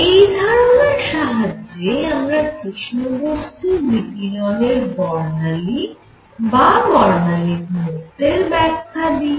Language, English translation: Bengali, Then this idea was applied idea was applied to explain the spectral density or spectrum of black body radiation